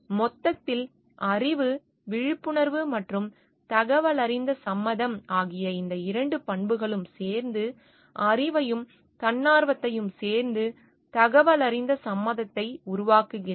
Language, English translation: Tamil, In totality these two characteristics of knowledge awareness and informed consent together makes the knowledge and voluntariness together makes the informed consent